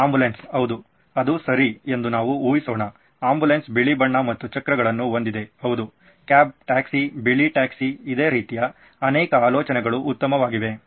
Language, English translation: Kannada, Let me guess ambulance yeah that’s a good one, ambulance it is white and has wheels yes, a cab, a taxi, a white taxi I suppose yeah that is a good one okay, so many more ideas like that good